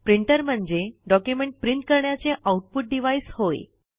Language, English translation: Marathi, A printer, in simple words, is an output device used to print a document